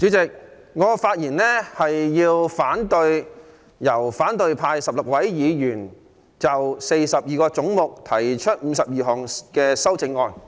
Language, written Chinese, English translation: Cantonese, 主席，我發言反對由反對派16位議員就42個總目提出的52項修正案。, Chairman I am speaking against the 52 amendments proposed by 16 Members of the opposition camp to 42 heads